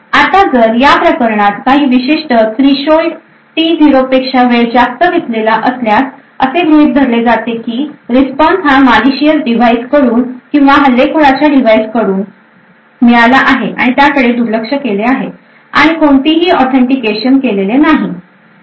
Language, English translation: Marathi, Now if the time taken is greater than some particular threshold in this case T0, then it is assumed that the response is obtained from malicious device or from an attacker device and is ignored and no authentication is done